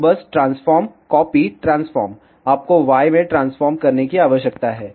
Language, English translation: Hindi, So, just transform, copy, transform, you need to transform in y